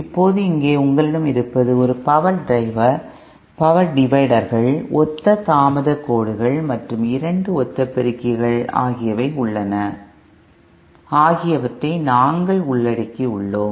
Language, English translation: Tamil, Now here what you have is a power divider recall we have covered power divider, 2 identical power dividers, 2 identical delay lines and 2 identical amplifiers